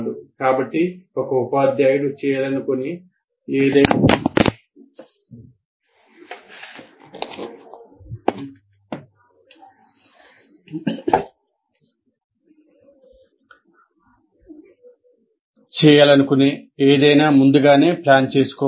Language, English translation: Telugu, So, anything a teacher wants to do, it has to be planned in advance